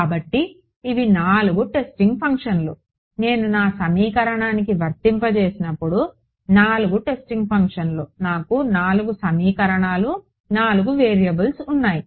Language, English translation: Telugu, So, these are the 4 testing functions; 4 testing functions when I apply to my equation I will get 4 equations 4 variables ok